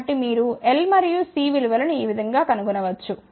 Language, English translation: Telugu, So, this is how you can find the values of L and C